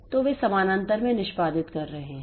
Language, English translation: Hindi, So, so they are executing in parallel